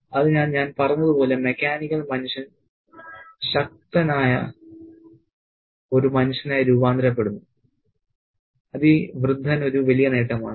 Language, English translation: Malayalam, So, as I said, the mechanical human being is transformed into a powerful human being and that is a big achievement for this old man